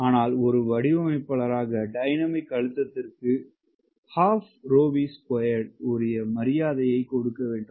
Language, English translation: Tamil, right, but as a designer you have to give due respect to dynamic pressure